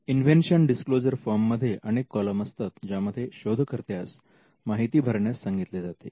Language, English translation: Marathi, The invention disclosure form will have various columns which you would ask the inventor to fill